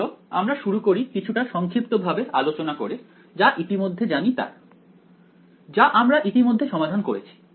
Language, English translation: Bengali, So, let us sort of start by summarizing what we already know ok, what are we already solved